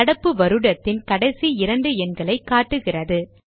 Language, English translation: Tamil, It gives the last two digit of the current year